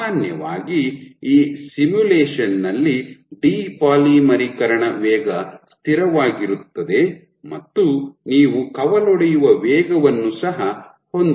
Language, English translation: Kannada, So, typically in this simulation the depolymerization rate is constant and you can have the branching rate also